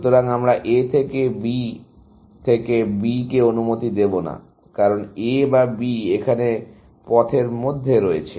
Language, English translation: Bengali, So, we will not allow A or B to B, because A or b is in the path here